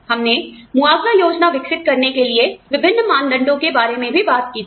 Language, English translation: Hindi, We also talked about, the different criteria, for developing a compensation plan